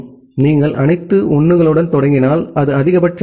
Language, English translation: Tamil, So, if you if you start with all 1s, then that is the maximum